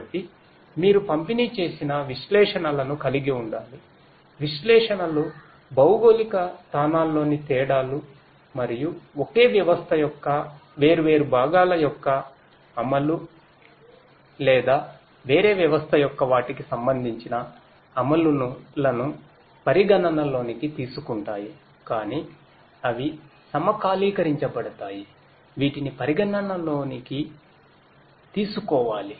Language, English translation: Telugu, So, you need to have distributed analytics; analytics which will take into account the differences in the geo locations and their corresponding executions of the different parts of the same system or maybe of a different system, but are synchronized together that has to be taken into consideration